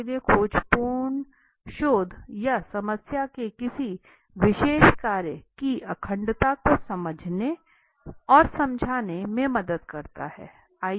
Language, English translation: Hindi, so expletory research helps to explain and understand the integrities of a particular work of research or problem